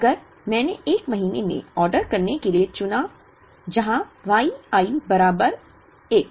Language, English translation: Hindi, If I chose to order in a month, where Y i equal to 1